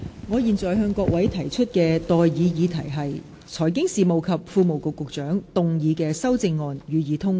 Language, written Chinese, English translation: Cantonese, 我現在向各位提出的待議議題是：財經事務及庫務局局長動議的修正案，予以通過。, I now propose the question to you and that is That the amendments moved by the Secretary for Financial Services and the Treasury be passed